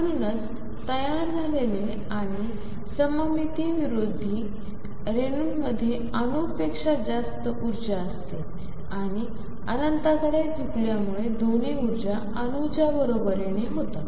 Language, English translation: Marathi, So, that that is why molecules that formed and anti symmetric psi has energy greater than the atom and as a tends to infinity both energies become equal to that of the atom